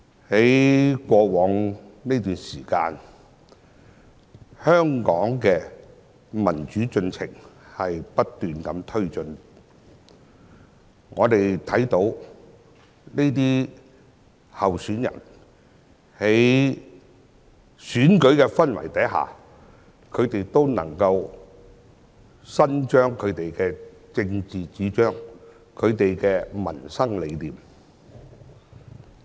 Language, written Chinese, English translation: Cantonese, 在過往這段時間，香港的民主進程不斷地推進，我們看到這些候選人在選舉的氛圍下，都能夠伸張其政治主張和民生理念。, This was a period during which Hong Kongs democratic process keep advancing and by running in these elections all candidates were able to pursue their political ideologies and put their ideas to improve peoples livelihood into practice